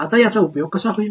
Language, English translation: Marathi, Now, how will be use it